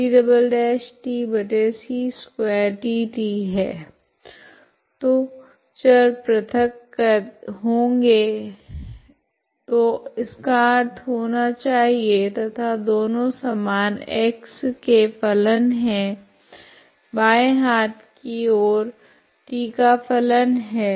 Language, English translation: Hindi, So variables are separated so should be that means and both are same functions of x left hand side functions of t